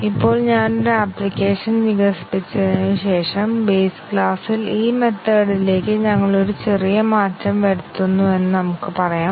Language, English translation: Malayalam, Now, let us say after I have developed an application, we make a small change to this method in the base class